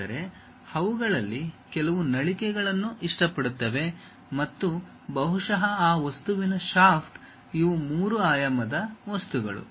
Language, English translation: Kannada, But, some of them like nozzles and perhaps the shaft of that object these are three dimensional things